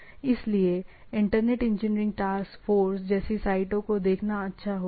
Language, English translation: Hindi, So, it will be nice to look at those sites like Internet Engineering Task Force